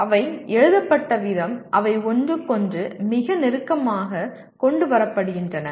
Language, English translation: Tamil, The way they are written they are brought very close to each other